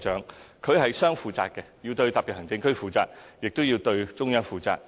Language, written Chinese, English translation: Cantonese, 行政長官是雙負責的，要對特別行政區負責，亦要對中央負責。, The Chief Executive has double responsibilities being accountable both to SAR and to the Central Government